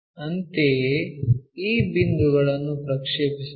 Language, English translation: Kannada, Similarly, project these points